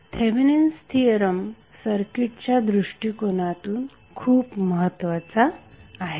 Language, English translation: Marathi, These Thevenin’s theorem is very important for the circuit point of view